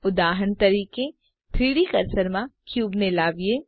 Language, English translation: Gujarati, For example, let us snap the cube to the 3D cursor